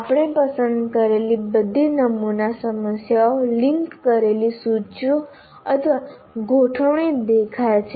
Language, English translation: Gujarati, All sample problems that we have chosen appear to be a linked list or arrays